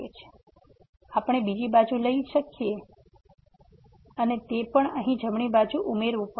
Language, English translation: Gujarati, So, to we can take to the other side and also it has to be added to the right side here